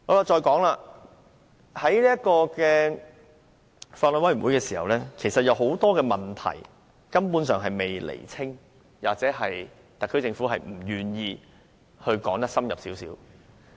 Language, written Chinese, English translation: Cantonese, 在法案委員會的討論中，多個問題根本尚未釐清，或特區政府不願意更深入論述。, During the discussion at the Bills Committee quite a number of issues have simply not been clarified or the HKSAR Government has been unwilling to explain in greater detail